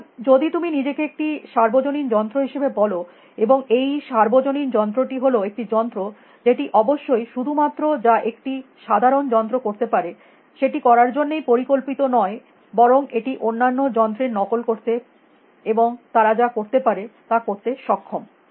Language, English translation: Bengali, So, if you want to call yourself as a universal machine and the universal machine is a machine which not only, of course, a simple machine can do only what it is designed to do, but a universal machine can imitate other machines and do what they were doing